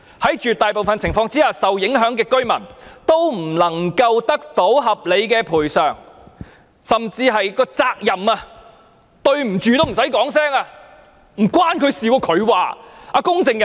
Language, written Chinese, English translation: Cantonese, 在絕大部分情況下，受影響的居民也不能夠得到合理的賠償，甚至在責任上，一句"對不起"也不用說。, In the vast majority of cases the affected residents could not obtain reasonable compensation and worse still from the perspective of responsibility no apology was ever tendered